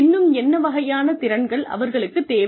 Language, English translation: Tamil, What kinds of skills, will they need